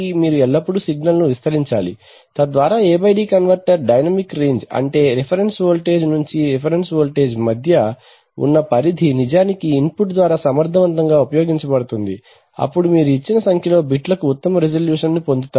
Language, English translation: Telugu, So you need to always amplify the signal so that the A/D converter dynamic range, that is the range between the reference voltage up to the reference voltage is actually effectively utilized by the input then you get the best resolution for a given number of bits